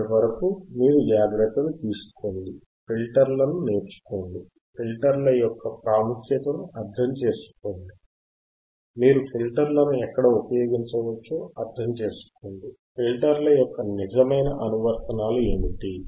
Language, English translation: Telugu, Till then you take care, learn the filters, the understand the importance of filters, understand where you can use the filters, what are the real applications of the filters